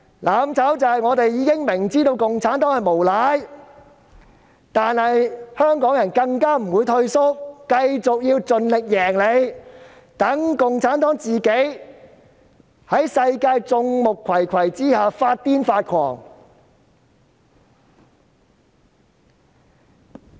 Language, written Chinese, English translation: Cantonese, "攬炒"是我們雖然明知共產黨是無賴，但香港人卻不會退縮，繼續盡力戰勝他們，讓共產黨在世界眾目睽睽之下發瘋發狂。, What is mutual destruction? . Mutual destruction means that although Hong Kong people know that CPC is a scoundrel they will not shrink back but will keep striving to defeat them so as to let CPC go crazy in the public eye of the world